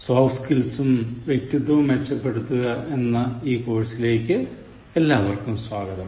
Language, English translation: Malayalam, Welcome back to my course on Enhancing Soft Skills and Personality